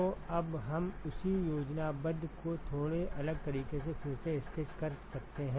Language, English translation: Hindi, So, now we could also re sketch the same schematic in a slightly different way